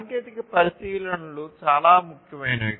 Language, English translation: Telugu, So, technology considerations are very important